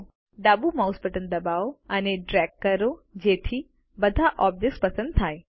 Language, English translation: Gujarati, Now press the left mouse button and drag so that all the objects are selected